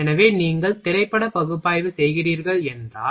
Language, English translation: Tamil, So, if you are doing film analysis